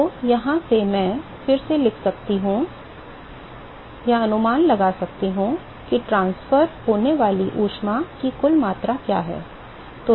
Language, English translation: Hindi, So, from here I can rewrite/estimate what is the net amount of heat that is transferred